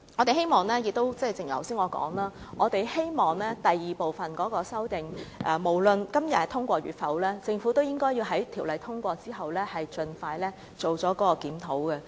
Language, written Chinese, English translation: Cantonese, 正如我剛才所說，我希望，無論第二部分的修正案能否在今天獲得通過，政府也應該在條例草案通過之後，盡快進行檢討。, As I said just now I hope that no matter the second group of amendment is passed today or not the Government can expeditiously conduct a review after passage of the Bill